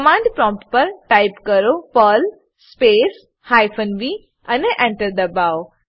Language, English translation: Gujarati, On the command prompt, type perl space hyphen v and press ENTER